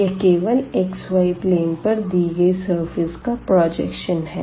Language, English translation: Hindi, So, let us project into the xy plane